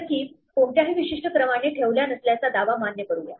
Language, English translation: Marathi, So, let us validate the claim that keys are not kept in any particular order